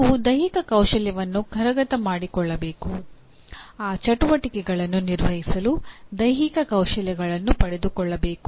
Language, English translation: Kannada, You have to master the physical skill, acquire the physical skills to perform those activities